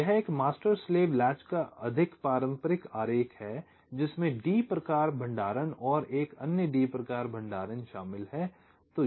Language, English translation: Hindi, so this is the more conventional diagram of a master slave latch consisting of a d type storage and another d type storage